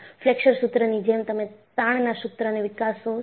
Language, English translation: Gujarati, And, similar to the Flexure formula, you develop the torsion formula